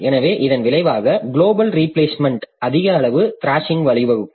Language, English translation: Tamil, So, as a result, global replacement will lead to more amount of thrashing